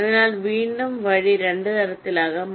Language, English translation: Malayalam, ok, so via again can be of two types